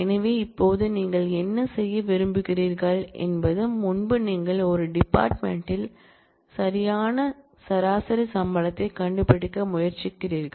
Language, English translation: Tamil, So now, what do you want to do is earlier you try to find out the average salary in one department